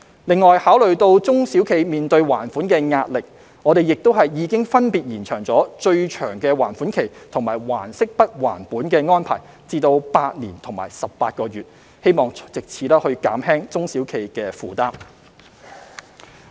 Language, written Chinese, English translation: Cantonese, 此外，考慮到中小企面對還款的壓力，我們亦已分別延長最長還款期及"還息不還本"安排至8年及18個月，希望藉此減輕中小企的負擔。, In addition in view of the repayment pressure faced by SMEs we have extended the maximum repayment period and the principal moratorium arrangement to 8 years and 18 months respectively with a view to alleviating the burden of SMEs